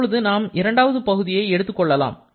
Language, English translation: Tamil, Let us take the second part